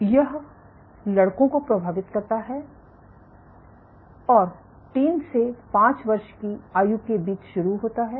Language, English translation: Hindi, So, this affects boys and start between the ages of 3 to 5